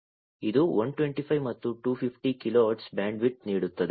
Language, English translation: Kannada, It offers bandwidth of 125 and 250 kilo hertz